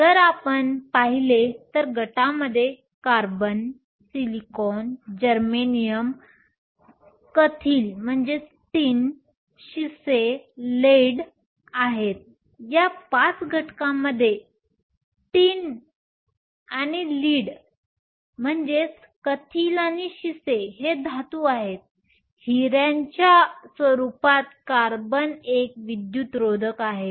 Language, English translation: Marathi, if you look at it the group has carbon, silicon, germanium, tin and lead, out of this five elements tin and lead are metals; carbon in the form of diamond is an insulator